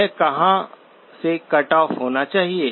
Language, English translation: Hindi, Where should it cut off